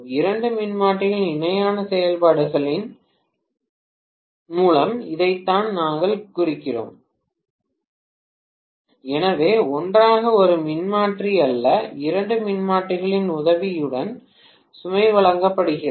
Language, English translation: Tamil, This is what we mean by parallel operation of two transformers, right so together the load is being supplied with the help of two transformers, not a single transformer